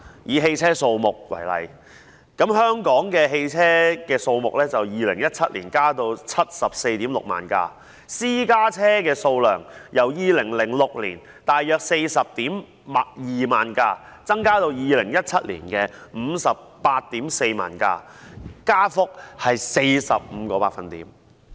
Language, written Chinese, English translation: Cantonese, 以汽車數目為例，香港的汽車數目在2017年增至 746,000 輛；私家車的數量由2006年約 402,000 輛，增至2017年的 584,000 輛，增幅是 45%。, Take for example the number of vehicles in Hong Kong the number reached 746 000 in 2017 and the number of private cars had increased from some 402 000 in 2006 to 584 000 in 2017 representing an increase of 45 %